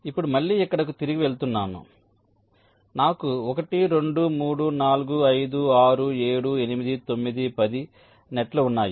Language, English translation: Telugu, now again going back here, so i have the nets one, two, three, four, five, six, seven, eight, nine, ten